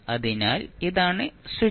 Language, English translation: Malayalam, So, this is this the switch